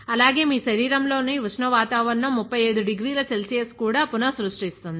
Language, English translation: Telugu, So, how do you maintain that 37 degree Celsius temperature